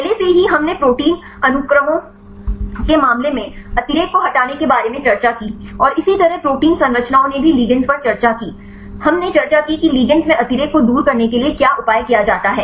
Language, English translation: Hindi, Already we discussed about the removal redundancy in the case of protein sequences, and the protein structures likewise ligands also we discussed right what is the measure used to remove the redundancy in the ligands